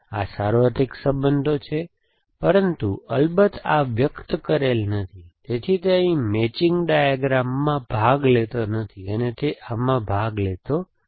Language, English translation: Gujarati, So, there is the universal relations, but of course this not expressed, it simply sit, so it does not participate in the matching diagram here and it does not participate in this